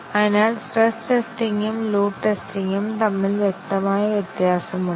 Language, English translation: Malayalam, So, there is a clear distinction between stress testing and load testing